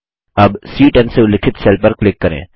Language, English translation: Hindi, Now, click on the cell referenced as C10